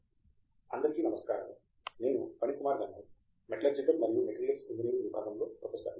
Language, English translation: Telugu, Hi, I am Phanikumar Gandham; professor in Department of Metallurgical and Materials engineering